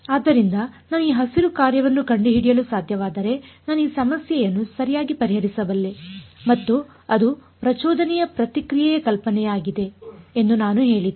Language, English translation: Kannada, So, I said if I can find out this Green function I can solve this problem right and that was the impulse response idea